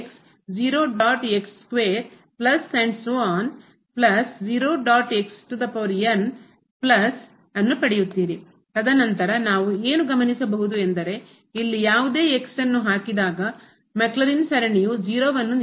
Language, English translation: Kannada, And then what we see here whatever we keep the maclaurin series is giving 0